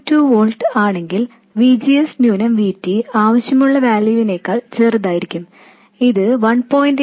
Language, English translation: Malayalam, 2 volts, VGS minus VT is smaller than what is required, it is 1